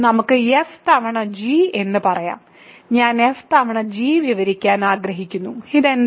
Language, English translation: Malayalam, So, let us say f times g, I want to describe f times g, what is this